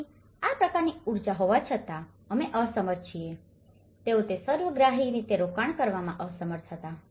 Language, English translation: Gujarati, So, despite of having this kind of energy, we are unable to, they were unable to invest that in holistically